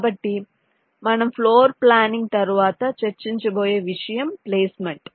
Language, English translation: Telugu, ok, so after floorplanning, the topic that we shall be discussing is called placement